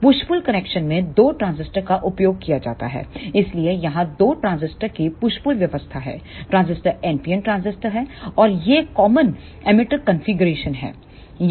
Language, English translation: Hindi, In push pull connection two transistors are used, so here is the push pull arrangement of two transistors the transistors are NPN transistors and these are the common emitter configurations